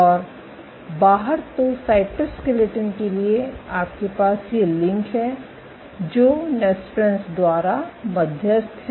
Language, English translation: Hindi, So, to the cytoskeleton you have these links which are mediated by nesprins